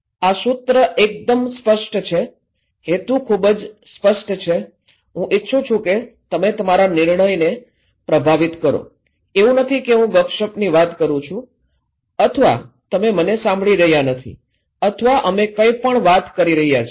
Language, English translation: Gujarati, This slogan is pretty clear, the intention is very clear, I want you to influence your decision, it’s not that I am talking like a gossip or you are not listening to me or we are talking anything